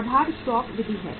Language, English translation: Hindi, Base stock method is there